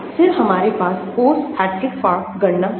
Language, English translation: Hindi, Then we have the post Hartree Fock calculations